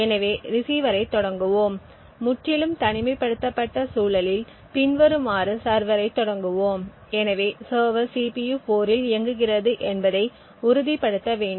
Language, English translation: Tamil, So, let us start the receiver and in a totally isolated environment start the server as follows, so we need to ensure that the server is running on the CPU 4